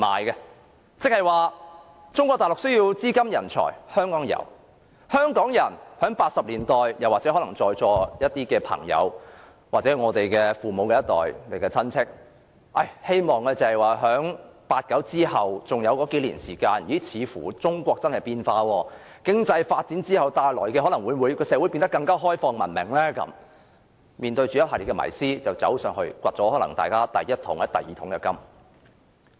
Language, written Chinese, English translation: Cantonese, 換句話說，香港提供了中國大陸需要的資金和人才，而在1980年代，在座一些朋友或我們父母那一代，在1989年後以為中國真的在變化，抱着經濟發展可能會令社會變得更開放文明的迷思，便北上發掘了第一桶、第二桶金。, In other words Hong Kong provided the capital and talents Mainland China needed . In the 1980s some people here or people of our parents generation fallen into the misbelief that China was really changing after 1989 and the myth that economic development was the door to a more open and civilized society went northward in search of their first and then second bucket of gold . This relationship this explicit transaction could not be more simple and direct